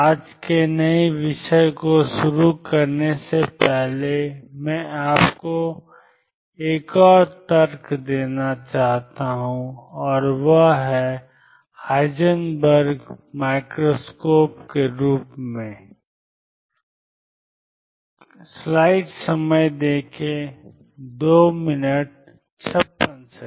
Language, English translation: Hindi, I want to give you another argument before I start in the new topic today and that is what is known as Heisenberg’s microscope